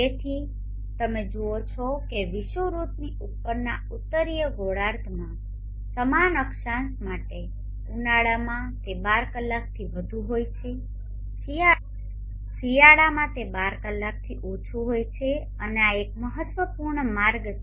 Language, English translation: Gujarati, So therefore you see that for the same latitude in the northern hemisphere above the equator in summer it is greater than 12 hours in winter it is less than 12 hours and these are the important take a ways